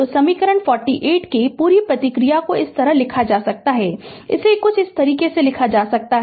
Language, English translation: Hindi, So, the complete response of equation 48 may be written as this can be written as something like this